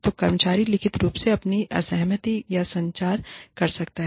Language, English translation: Hindi, So, the employee can communicate, their dissent in writing